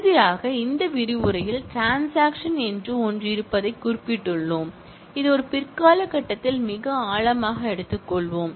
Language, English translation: Tamil, Finally, in this module, we mentioned that, there is something called transactions, which we will take up at a later stage, in much depth